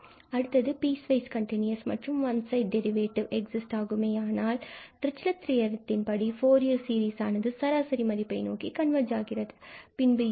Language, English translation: Tamil, And, if piecewise continuous and one sided derivatives exist, this is the Dirichlet theorem and the Fourier series converges to this average value